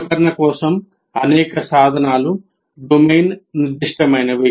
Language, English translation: Telugu, And many of these tools are domain specific